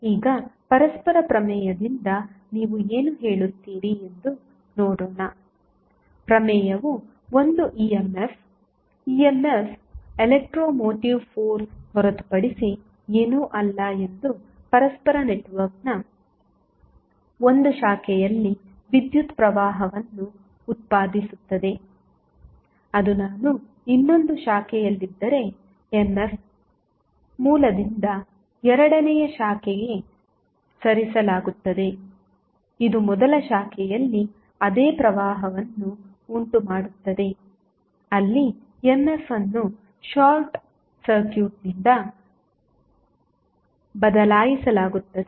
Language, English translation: Kannada, Now, let us see what do you mean by reciprocity theorem the theorem says that if an EMF E, EMF is nothing but electro motive force E in 1 branch of reciprocal network produces a current that is I in another branch, then, if the EMF is moved from first to the second branch, it will cause the same current in the first branch where EMF has been replaced by a short circuit